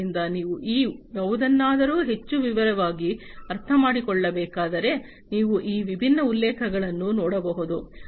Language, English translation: Kannada, So, you know if you need to understand any of these things in more detail, then you know you can go through these different references